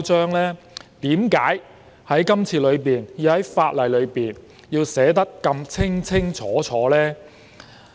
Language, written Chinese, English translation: Cantonese, 為何政府這次要在法例上寫得如此清清楚楚？, Why must the Government state the requirements so clearly in legislation this time?